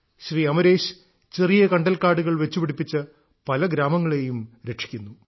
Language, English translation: Malayalam, Amreshji has planted micro forests, which are protecting many villages today